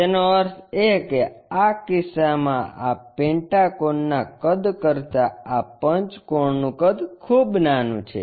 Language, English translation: Gujarati, That means, in this case the size of this pentagon is very smaller than the size of this pentagon